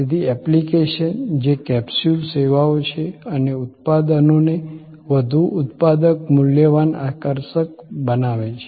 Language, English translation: Gujarati, So, the apps, which are capsule services make those products, so much more productive valuable attractive